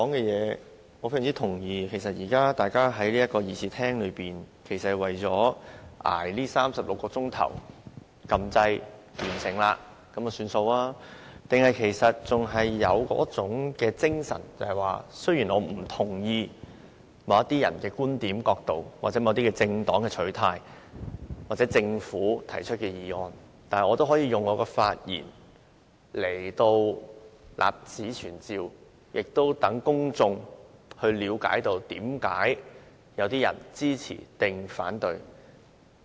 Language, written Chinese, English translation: Cantonese, 現時大家在議事廳內是為了捱過這36小時，按下按鈕，完成任務便了事，還是仍然有一種精神，便是雖然我不贊同某些人的觀點或角度，又或某些政黨的取態或政府提出的議案，但我也可以透過發言立此存照，亦讓公眾了解為何有人支持或反對。, Presently in this Chamber are Members just waiting for the 36 hours to pass and to press the button to fulfil their obligation? . Will Members still have the spirit that though they may disagree with the opinions or perspectives of certain people as well as the preference of certain political parties or motions proposed by the Government they will rise to speak so that their views will be put on record and the public will understand why the issue is supported or opposed by people?